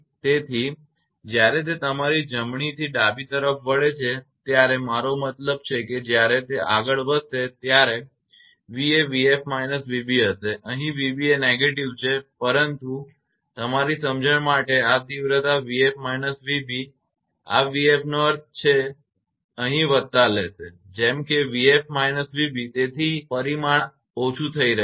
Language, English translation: Gujarati, So, when it is moving to the your right to left I mean from this side to this side when it is moving then v will be v f minus v b here v b is negative, but this magnitude for your understanding it is v f minus v b mean this v b will take plus here, such that v b minus v f minus v b so this, this magnitude this one is getting reduced